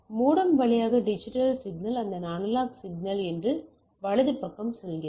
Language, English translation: Tamil, So, the digital signal through the modem goes to this analog and goes out right